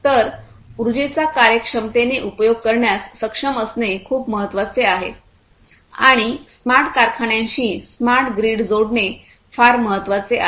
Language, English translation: Marathi, So, being able to efficiently use the energy is very important and smart grid is having smart grids connected to the smart factories is very important